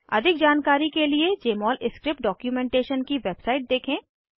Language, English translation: Hindi, Explore the website for Jmol Script documentation for more information